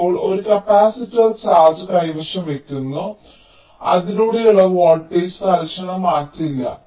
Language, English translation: Malayalam, now a capacitor holds the charge and it does not instantaneously change the voltage across it, right